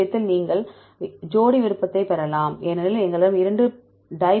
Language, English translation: Tamil, In this case you can get the pair preference because we had 2 dipeptides